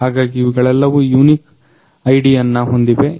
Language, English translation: Kannada, So, these all have a unique ID associated with them